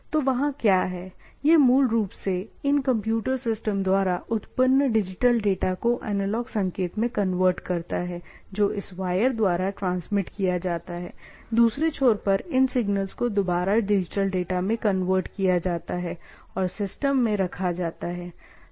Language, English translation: Hindi, So, what is there, it basically converts this digital data of these generated by these computer systems to analog signal which is carried out by this wire, at the other end it is reconverted to digital data and placed it to the systems